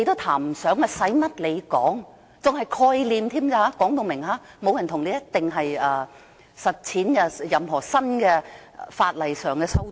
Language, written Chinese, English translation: Cantonese, 她更說明只是概念，並非承諾一定會實踐任何法例上的新修訂。, She even says clearly that this is just a concept . She does not pledge to introduce any new legislative amendment at all